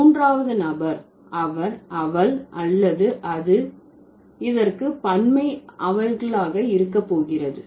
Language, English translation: Tamil, The third person, singular is either he or she or it and the plural is going to be what they, right